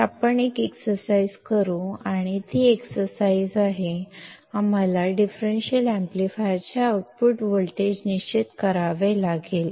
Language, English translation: Marathi, So, let us perform one exercise and that exercise is; we have to determine the output voltage of a differential amplifier